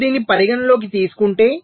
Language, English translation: Telugu, so if you take this into account, so i